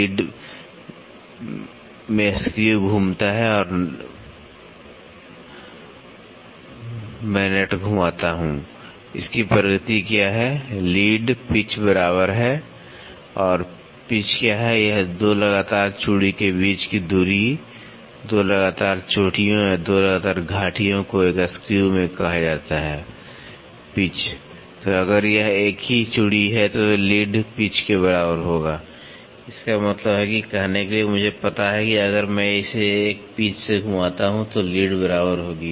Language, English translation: Hindi, Lead is I rotate the screw or I rotate the nut, what is advancement it has is the lead is equal to the pitch, what is pitch the distance between 2 consecutive threads is the 2 consecutive peaks or 2 consecutive valleys in a screw is called a pitch